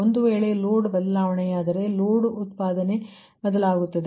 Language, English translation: Kannada, if change, the load generation will change